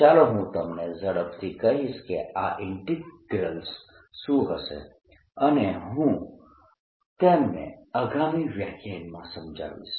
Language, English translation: Gujarati, let me quickly tell you what these integrals will be and i'll explain them in the next lecture